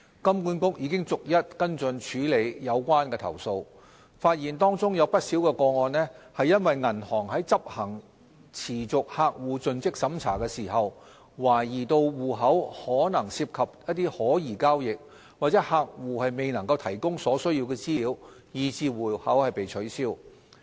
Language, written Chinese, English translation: Cantonese, 金管局已逐一跟進處理有關的投訴，發現當中不少個案是因為銀行在執行持續客戶盡職審查時，懷疑戶口可能涉及可疑交易或客戶未能提供所須資料，以致戶口被取消。, It is found that in quite a number of the cases banks decided to close the accounts because of suspicions during their ongoing monitoring process that the accounts might be involved in suspicious transactions or because the customers were not able to provide the required information during the process